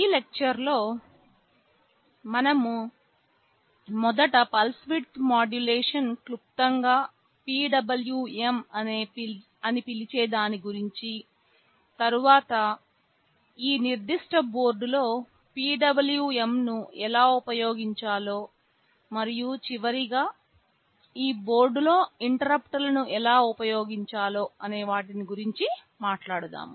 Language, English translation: Telugu, In this lecture we shall be first talking about pulse width modulation which in short we call PWM, then how to use PWM on this specific board, and lastly how to use interrupts on this board